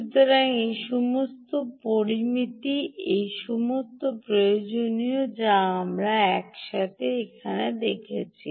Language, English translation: Bengali, all these parameters, all these requirements that we put together